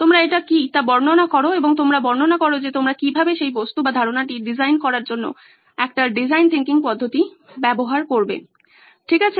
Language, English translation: Bengali, You describe what that is and you describe how you would use a design thinking approach to design that object or idea that you are thinking about, right